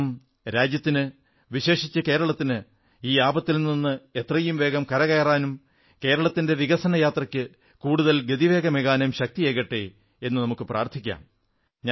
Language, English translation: Malayalam, We pray for Onam to provide strength to the country, especially Kerala so that it returns to normalcy on a newer journey of development